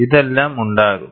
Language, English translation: Malayalam, We will have all this